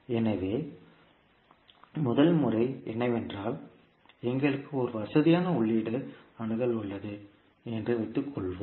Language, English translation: Tamil, So, first method is that let us assume that the, we have one convenient input access